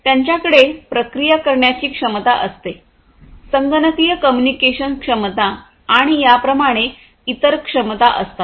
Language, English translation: Marathi, They also have the processing capabilities, so, computation communication capabilities and so on